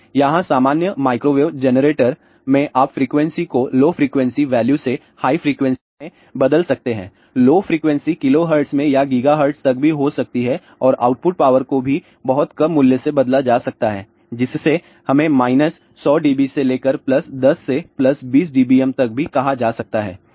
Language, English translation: Hindi, So, here in general microwave generator you can change the frequency from a low frequency value to a higher frequency; low frequency can be in kilohertz also up to gigahertz and the output power also can be changed from a very small value which can be even let us say minus 100 dB to up to even plus 10 to plus 20 dBm also